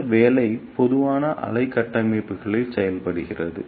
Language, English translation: Tamil, This job is done by slow wave structures